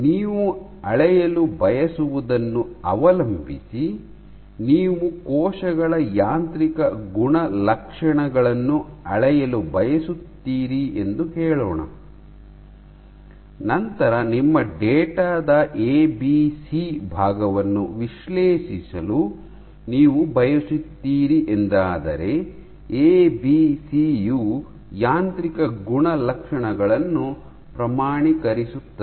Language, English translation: Kannada, So, depending on what you want to measure, let us say you want to measured the mechanical properties of the cells, then you want to analyze ABC portion of your data, ABC is for quantifying mechanical properties